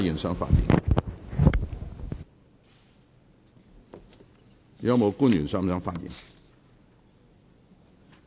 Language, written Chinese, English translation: Cantonese, 是否有官員想發言？, Does any public officer wish to speak?